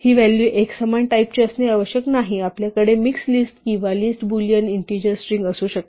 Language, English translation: Marathi, These values need not be of a uniform type, we can have mixed list consisting or list, Boolean, integers, strings